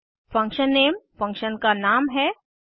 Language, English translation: Hindi, function name is the name of the function